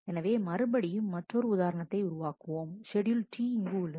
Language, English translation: Tamil, So, again we create another example schedule T here